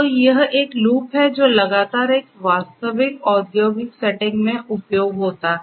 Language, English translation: Hindi, So, this is more or less kind of a loop that continuously gets executed in a real industrial setting